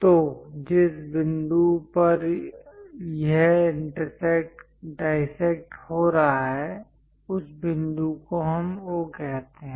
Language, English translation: Hindi, So, the point where it is intersecting dissecting that point let us call O